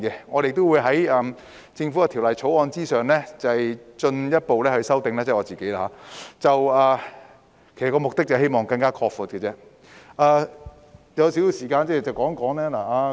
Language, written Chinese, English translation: Cantonese, 我亦會在政府的《條例草案》之上進一步提出修訂，目的是希望進一步擴闊海外醫生進入香港的途徑。, I will also propose further amendments to the Governments Bill in the hope of further facilitating the admission of OTDs into Hong Kong